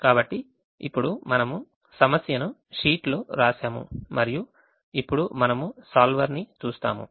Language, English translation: Telugu, so now we have written the problem in the sheet and we now look at the solver